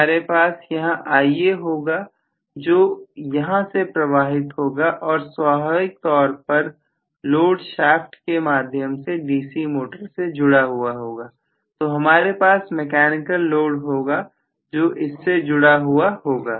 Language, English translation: Hindi, Now I am going to have this Ia passing through this and of course the load is now coupled to the shaft of the DC motor, so I am going to have a mechanical load coupled here